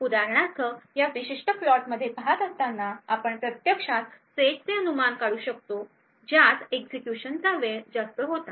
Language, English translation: Marathi, For example looking at this particular plot we can actually infer the sets which had incurred a high execution time